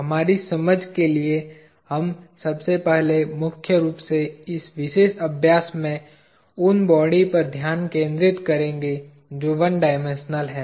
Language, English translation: Hindi, For our understanding, we will first focus mainly, in this particular exercise on bodies that are one dimensional